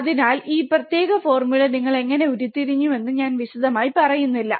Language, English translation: Malayalam, So, I am not going into detail how you have derived this particular formula